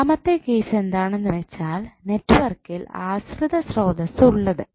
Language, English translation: Malayalam, Second case would be the case when network has dependent sources